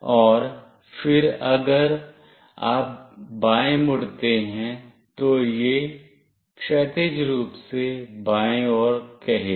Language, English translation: Hindi, And then if you turn left, it will say horizontally left